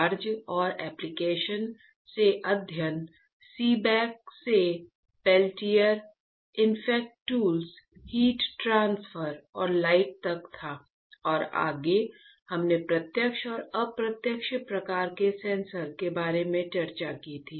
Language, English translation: Hindi, Studying from charges and application was from Seebeck to Peltier effects tools, Heat transfer and light and further we discussed about the direct and indirect kind of sensors